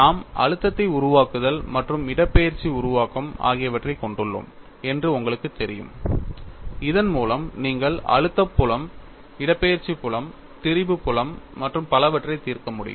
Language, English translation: Tamil, You know I had said we have stress formulation as well as displacement formulation by which you can solve stress field, displacement field, strain field so on and so forth